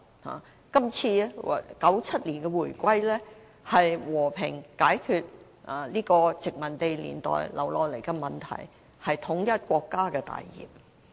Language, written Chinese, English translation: Cantonese, 香港在1997年回歸中國，和平解決殖民地年代遺留的問題，是統一國家的大業。, The return of Hong Kong to China in 1997 as a peaceful resolution of the Hong Kong issue left over from the colonial era was vital to the great cause of national unity